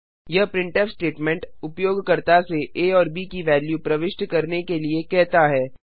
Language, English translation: Hindi, This printf statement prompts the user to enter the values of a and b